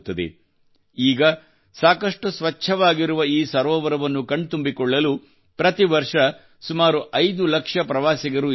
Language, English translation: Kannada, Now about 5 lakh tourists reach here every year to see this very clean lake